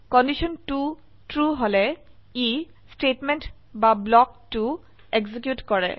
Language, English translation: Assamese, If condition 2 is true, it executes statement or block 2